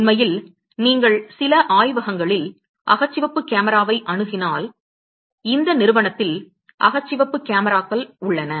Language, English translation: Tamil, In fact, if you get an access to infrared camera in some of the labs; there are infrared cameras in this institute